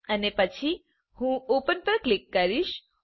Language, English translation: Gujarati, and then I will click on open